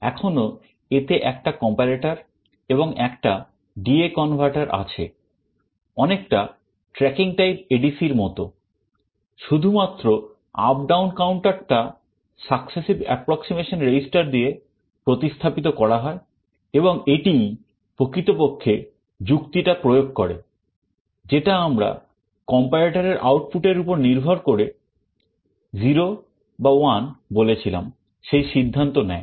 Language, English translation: Bengali, There is still a comparator and a D/A converter, very similar to a tracking type ADC; just the up down counter is replaced by a successive approximation register and this implements actually the logic, which we mentioned depending on whether the output of the comparator is 0 or 1 it takes a decision